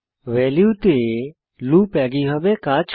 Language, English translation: Bengali, The loop on values works in a similar way